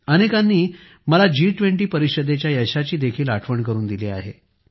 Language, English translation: Marathi, Many people reminded me of the success of the G20 Summit